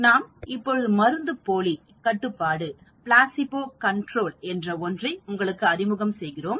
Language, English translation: Tamil, Now, we introduce something more complicated that is called the placebo control